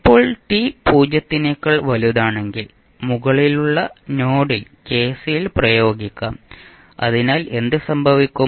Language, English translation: Malayalam, Now, at time t is equal to greater then 0 lets apply KCL at the top node, so what will happen